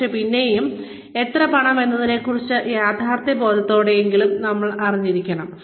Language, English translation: Malayalam, But, then again, we need to be, at least realistically informed about, how much money